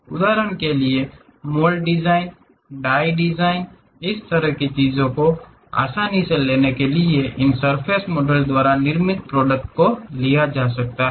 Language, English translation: Hindi, For example: like mold designs, die design this kind of things can be easily constructed by this surface models